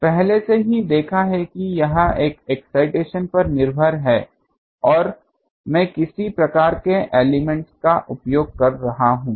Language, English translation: Hindi, Already seen this these are dependent on one is the excitation another is what type of element I am using the